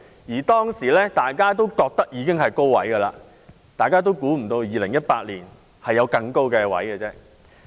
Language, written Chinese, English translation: Cantonese, 那時大家都覺得樓價已達到高位，預計不到2018年還會更高。, Back then many people thought that property prices had reached a peak; little had they expected that prices would go up further in 2018